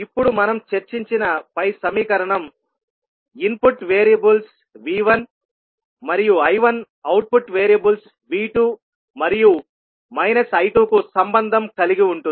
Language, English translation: Telugu, Now, the above equation which we discussed relate the input variables V 1 I 1 to output variable V 2 and minus I 2